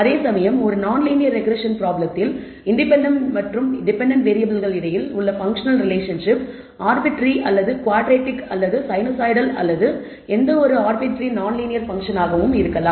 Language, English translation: Tamil, Whereas in a non linear regression problem the functional relationship be tween the dependent and independent variable can be arbitrary, can be quadratic, can be sinusoidal or can be any arbitrary non linear function